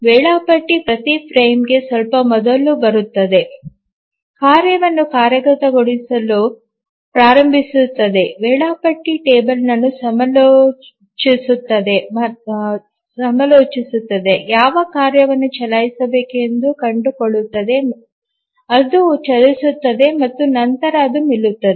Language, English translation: Kannada, The scheduler comes up just before every frame, starts execution of the task, consults the schedule table, finds out which task to run, it runs and then it stops